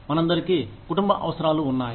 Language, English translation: Telugu, We all have family needs